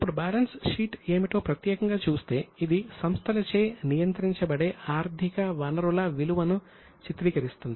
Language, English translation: Telugu, Now, coming to specifically what the balance sheet is, it portrays the value of economic resources which are controlled by the enterprises